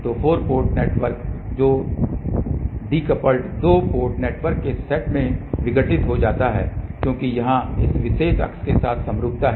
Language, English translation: Hindi, So, 4 port network is decomposed into set of two decoupled two port network because of the symmetry along this particular axis here